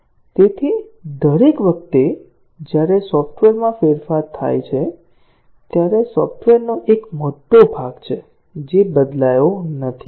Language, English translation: Gujarati, So, each time there is a change to the software, there is a large part of the software that has not changed